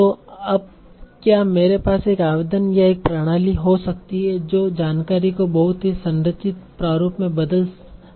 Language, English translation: Hindi, So now can I have an application or a system that it converted information to a very very structured format